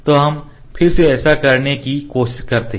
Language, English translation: Hindi, So, let us try to do this again